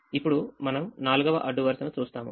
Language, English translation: Telugu, now we look at the fourth row